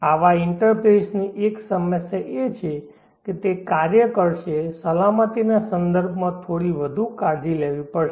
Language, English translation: Gujarati, One problem with such an interface is though it will work one has to be a bit more careful with respect to safety